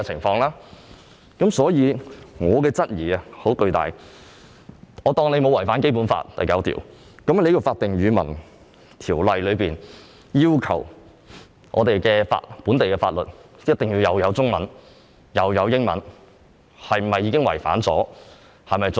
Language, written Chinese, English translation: Cantonese, 我姑且接納當局未有違反《基本法》第九條，但《法定語文條例》要求本地法律必須具備中文和英文本，是次做法是否已違反此項規定？, Although I am willing to accept that the authorities have not acted in violation of Article 9 of the Basic Law the Official Languages Ordinance does require that local legislation shall be enacted in both Chinese and English languages and hence has the adoption of the current approach constituted a breach of such a requirement?